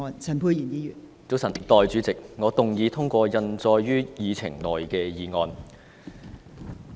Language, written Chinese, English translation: Cantonese, 早晨，代理主席，我動議通過印載於議程內的議案。, Good morning Deputy President I move that the motion as printed on the Agenda be passed